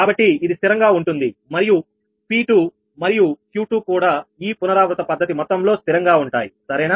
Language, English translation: Telugu, so this will remain constant and p two and q two also will remain constant throughout the iterative process, right